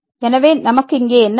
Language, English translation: Tamil, So, what do we have here